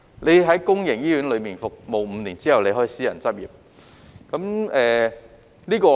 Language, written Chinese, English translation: Cantonese, 他們在公營醫院服務5年後，可以私人執業。, After serving in a public hospital for five years they may switch to private practice